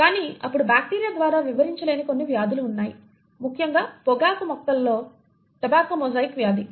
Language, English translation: Telugu, But then there were a few diseases which could not be explained by bacteria, especially the tobacco mosaic disease in tobacco plants